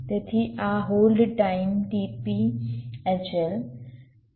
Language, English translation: Gujarati, so this hold time is t p h l